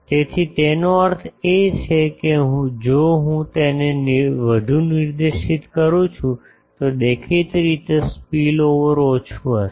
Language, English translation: Gujarati, So, that means, if I make it more directed then the obviously, spillover will be less